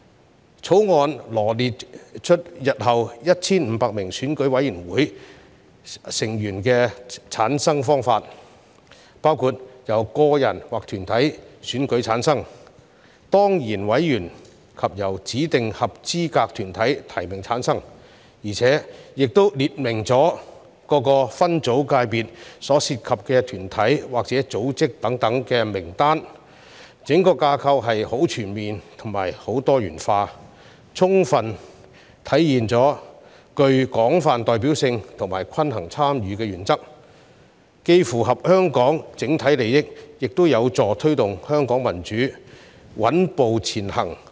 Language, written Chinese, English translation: Cantonese, 《條例草案》羅列日後 1,500 名選舉委員會委員的產生方法，包括由個人或團體選舉產生、當然委員及由指定合資格團體提名產生，亦列明各個界別分組所涉及的團體或組織等名單，整個架構十分全面及多元化，充分體現具廣泛代表性和均衡參與的原則，既符合香港整體利益，亦有助推動香港民主穩步前行。, The Bill sets out the method for returning the 1 500 Election Committee EC members in future who will comprise members returned by individual or corporate voters ex - officio members and members nominated by designated eligible bodiesIt also sets out the lists of bodies or organizations involved in various subsectors . The entire structure is most comprehensive and diversified bringing into full play the principle of broad representativeness and balanced participation . This is in the overall interest of Hong Kong and helpful to taking forward Hong Kongs democratic development steadily